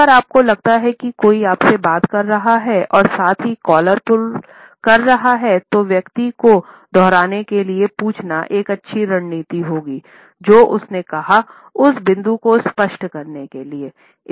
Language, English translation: Hindi, If you feel that somebody is talking to you and at the same time using any variation of what is known as the collar pull, it would be a good strategy to ask the person to repeat, whatever he or she has said or to clarify the point